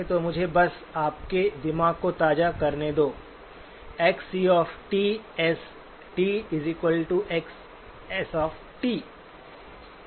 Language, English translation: Hindi, So let me just refresh your mind, Xc of t times S of t is the sampled signal